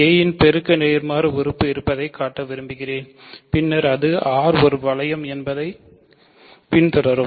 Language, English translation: Tamil, We want to show that a has a multiplicative inverse and then it will follow that R is a ring